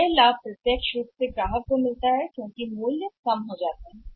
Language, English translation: Hindi, So, that benefit directly goes to the customer because prices go down